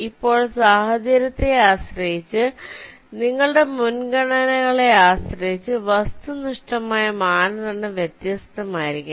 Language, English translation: Malayalam, now, depending on the scenario, depending on your priorities, the objective criteria may be different